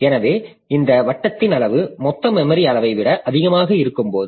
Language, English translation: Tamil, So this thing occurs when the size of this locality is greater than total memory size